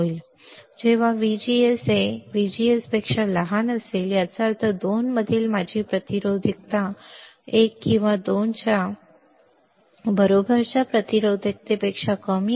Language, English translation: Marathi, Now, when VGS is less than VGS two; that means, my resistivity at 2 is less than resistivity of 1 or R 2 is greater than R1 right